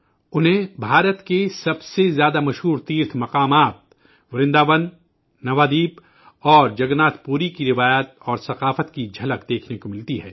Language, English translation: Urdu, They get to see glimpses of the most famous pilgrimage centres of India the traditions and culture of Vrindavan, Navaadweep and Jagannathpuri